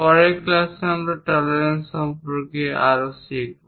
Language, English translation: Bengali, In the next class we will learn more about tolerances